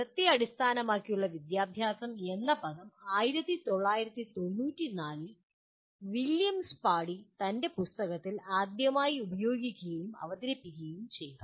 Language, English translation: Malayalam, The term outcome based education was first used and presented by William Spady in his book in 1994